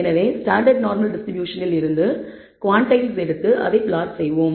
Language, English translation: Tamil, And therefore, we will take the quantiles from the standard normal distribution and plot it